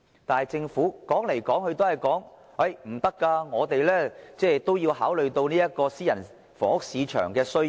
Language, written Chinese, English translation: Cantonese, 但是，政府說來說去都說不可以，說他們也要考慮私人房屋市場的需要。, However what the Government has been talking about is no . It says that the Government still need to consider the need of the private housing market